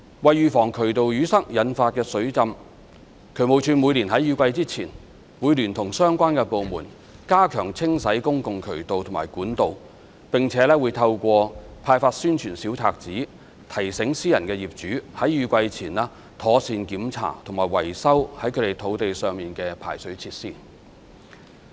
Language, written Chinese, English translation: Cantonese, 為預防渠道淤塞引發的水浸，渠務署每年在雨季前會聯同相關部門加強清洗公共渠道及管道，並且會透過派發宣傳小冊子，提醒私人業主在雨季前妥善檢查及維修在他們土地上的排水設施。, To prevent flooding caused by drain blockage DSD before every rainy season collaborates with other relevant departments to step up cleaning of public channels and pipes and reminds private owners to properly check and repair the drainage facilities on their lands through distribution of pamphlets